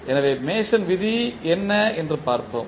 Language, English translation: Tamil, So, let us see what was the Mason rule